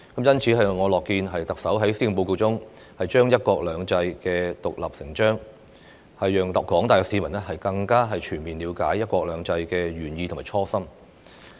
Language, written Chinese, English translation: Cantonese, 因此，我樂見特首在施政報告中，將"一國兩制"獨立成章，讓廣大市民更加全面了解"一國兩制"的原意和初心。, Therefore I am happy to see that one country two systems is treated as a stand - alone chapter in the Chief Executives Policy Address to let the general public have a full picture of the original intention of the one country two systems principle